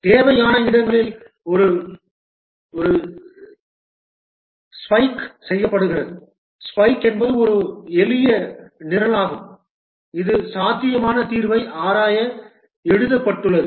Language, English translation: Tamil, Wherever required, a spike is done, a spike is a simple program that is written to explore potential solution